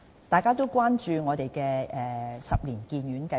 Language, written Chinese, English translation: Cantonese, 大家都關注十年醫院發展計劃。, Members are also concerned about the 10 - year Hospital Development Plan